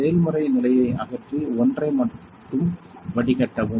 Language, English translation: Tamil, Remove process condition then only filter one